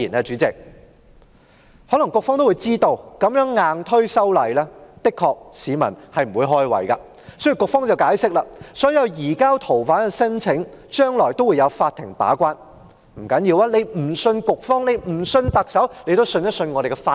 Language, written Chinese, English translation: Cantonese, 局方可能也知道，這樣硬推修例，確實令市民不快，因此局方解釋，所有移交逃犯的申請將來也會有法庭把關，即使不相信局方及特首，也可以相信我們的法庭。, The Bureau probably knows that members of the public are displeased with this kind of forced enactment it thus explains that for all applications for surrender of fugitive offenders in the future the court will play a gatekeeping role . Even if people do not trust the Bureau and the Chief Executive they can still trust our courts